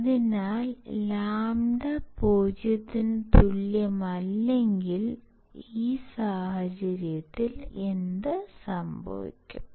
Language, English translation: Malayalam, So, if lambda is not equal to 0, in that case, what will happen